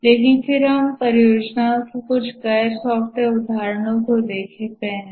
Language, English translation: Hindi, But then let's look at some non software examples of projects